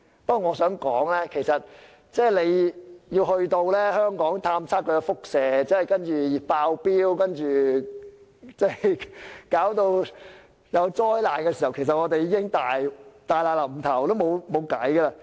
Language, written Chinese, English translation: Cantonese, 不過，我想提出若要在香港進行輻射探測，查明有否"爆標"及是否瀕臨災難時，我們其實已大難臨頭，無路可逃。, However speaking of the conduct of radioactivity screening to ascertain whether there is any exceedance or danger of imminent disaster I must say we already know full well that we are faced with imminent disaster and have no way out